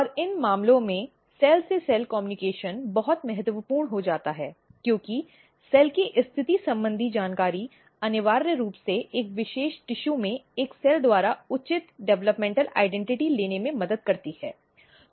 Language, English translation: Hindi, And in these cases the cell to cell communication becomes so important, because the positional information of a cell essentially helps in taking a proper developmental identity by a cell in a particular tissue